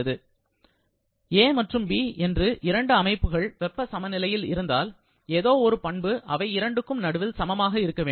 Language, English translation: Tamil, If system A and B are in thermal equilibrium then, some property has to be equal between them and that property is temperature